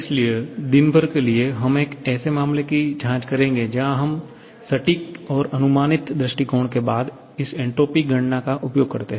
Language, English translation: Hindi, So, to round up the day, we shall be checking one case where we make use of this entropy calculation following both exact and approximate approach